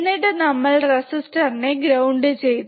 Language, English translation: Malayalam, Then we have grounded this resistor